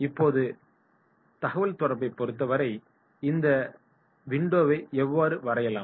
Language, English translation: Tamil, Now, as far as communication is concerned right, so how to draw this window